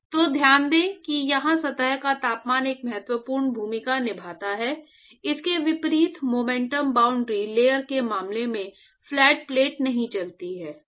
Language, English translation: Hindi, So, note that here the temperature of the surface plays an important role unlike in the case of momentum boundary layer, the flat plate is not moving